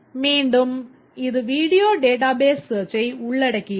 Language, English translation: Tamil, Again, this involves database searching, video database searching